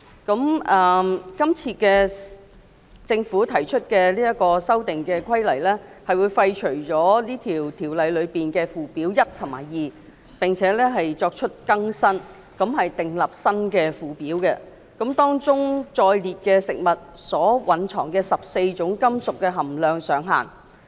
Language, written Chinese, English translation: Cantonese, 今次政府提出的《修訂規例》會廢除《規例》的附表1及 2， 並作出更新，訂定新附表，當中載列食物中14種金屬的含量上限。, The Amendment Regulation proposed by the Government this time around repeals the First and Second Schedules to the Regulations and prescribes a new Schedule which sets out the maximum levels for 14 metallic contaminants in food